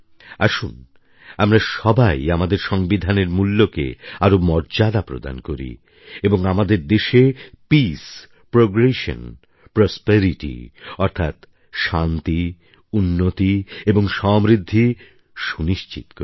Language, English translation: Bengali, Let us all take forward the values enshrined in our Constitution and ensure Peace, Progress and Prosperity in our country